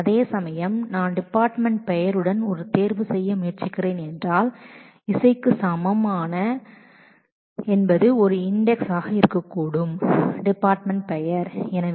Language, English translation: Tamil, Whereas, if I am trying to do a selection with department name is equal to is music there will be a could be an index one the secondary index based on the department name